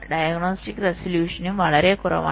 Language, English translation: Malayalam, the diagnostic resolution is also pretty low